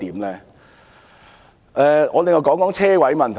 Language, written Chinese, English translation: Cantonese, 另外，我談談泊車位的問題。, Besides let me talk about the problem of parking spaces